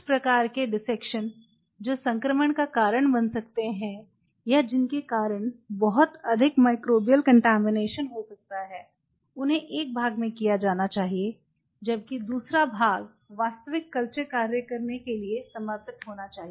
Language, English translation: Hindi, The part one where some of the kind of dissections which may cause infections or which may cause a lot of microbial contamination should be done in one part whereas, the other part is dedicated for doing the real culture work